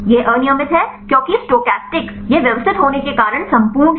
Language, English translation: Hindi, This random because stochastic, this is exhaustive because systematic